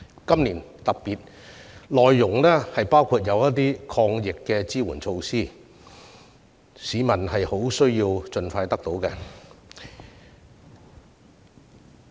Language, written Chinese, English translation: Cantonese, 今年預算案內容特別包括了一些抗疫支援措施，這是市民需要盡快得到的。, This years Budget includes some anti - epidemic measures which are urgently required by the public